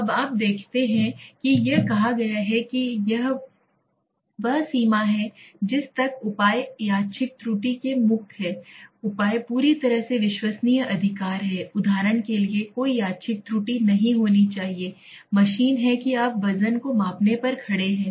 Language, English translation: Hindi, Now you see it says, it is extent to which the measures are free from random error and the measure is perfectly reliable right, there should not be any random error, for example on the machine that you are standing on measuring the weight